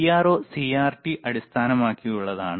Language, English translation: Malayalam, CRO is based on CRT